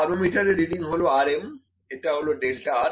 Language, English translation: Bengali, This is our thermometer reading which is equal to R m this is equal to delta r